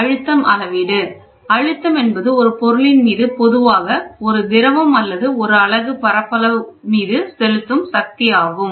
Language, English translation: Tamil, Pressure measurement, pressure is force exerted by a media usually a fluid or a unit area